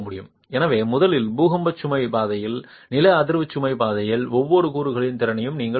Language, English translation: Tamil, So first you need to be able to establish the capacity of each component in the earthquake load path, the seismic load path